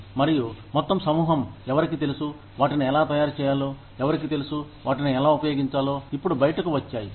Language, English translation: Telugu, And, a whole bunch of people, who knew, how to make those, who knew, how to use those, are now out